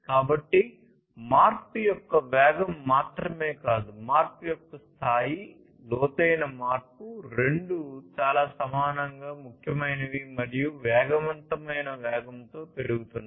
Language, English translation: Telugu, So, not only the speed of change, but also the scale of change, the profound change both are very equally important and are increasing in rapid pace